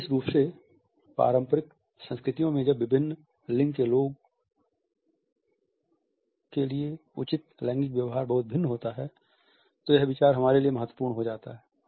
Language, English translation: Hindi, Particularly in conventional cultures when the gender appropriate behavior is highly different for people belonging to different genders, this idea becomes important for us